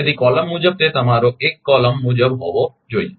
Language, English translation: Gujarati, So, column column wise, it has to be your 1 column wise 1